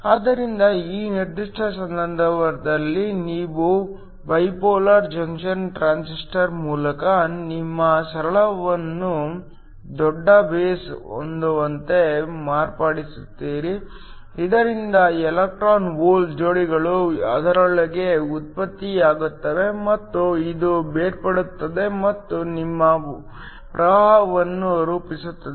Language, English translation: Kannada, So, in this particular case you modify your simple by Bipolar Junction Transistor to have a larger base, so that electron hole pairs are generated within that and this in turn get separated and forms your current